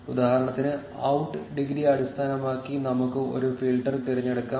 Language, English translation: Malayalam, For instance, let us choose a filter based on the out degree